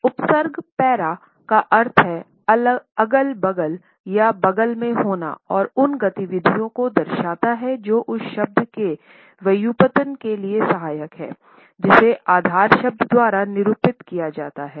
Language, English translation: Hindi, The prefix para means beside or side by side and denotes those activities which are auxiliary to a derivative of that which is denoted by the base word